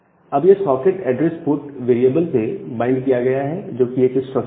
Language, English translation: Hindi, Now, that particular socket is bind to a address port kind of variable which is a structure